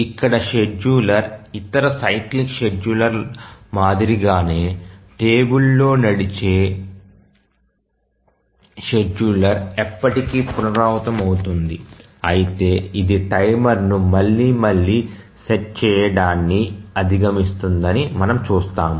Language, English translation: Telugu, So, the schedule here is stored in a table as in the case of other cyclic scheduler that the table driven scheduler which is repeated forever but we will see that it overcomes setting a timer again and again